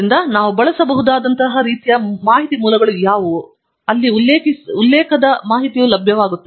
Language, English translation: Kannada, So, what are the kind of information sources that we can use, where the citation information will be available